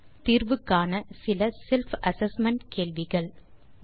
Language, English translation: Tamil, Here are some self assessment questions for you to solve 1